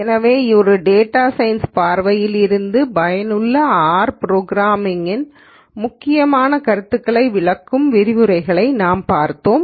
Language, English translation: Tamil, So, we had a set of lectures explaining the important concepts of R programming that are useful from a data science viewpoint